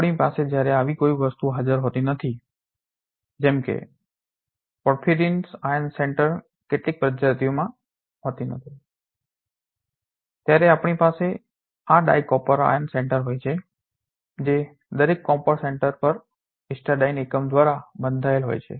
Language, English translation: Gujarati, We have when we do not have such a thing present such as these are these porphyrin iron centers are not present in some of the species then we have these di copper iron centers which is ligated by 3 histidine unit on each of the copper center